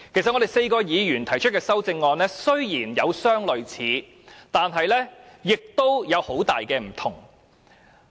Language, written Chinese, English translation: Cantonese, 雖然4位議員提出的修正案有相類似的地方，但亦有很大的差異。, Although the amendments proposed by the four Members have similarities there are also major differences among them